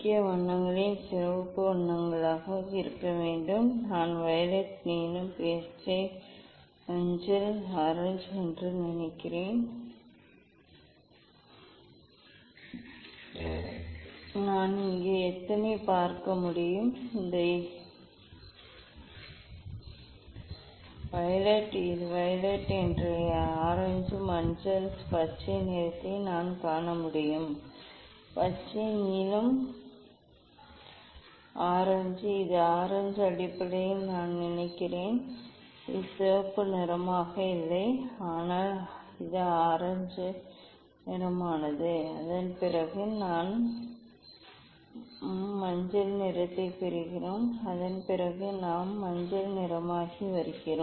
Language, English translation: Tamil, prominent colours one that should be red colours, I think violet, blue, then green, yellow, orange; how many I can see here, this is I think this violet this is violet and this orange, yellow, green I can see green I can see green, blue, orange I think this the orange basically, it is not red looks red but, it is the orange then after that we are getting yellow; after that we are getting yellow